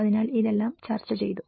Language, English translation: Malayalam, So, this is all have been discussed